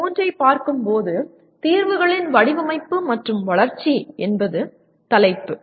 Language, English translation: Tamil, Coming to PO3, the title is design and development of solutions